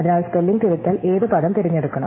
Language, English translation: Malayalam, So, which word should the spelling corrective choose